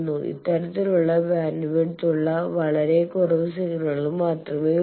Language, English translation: Malayalam, There are very few signals who have this type of bandwidth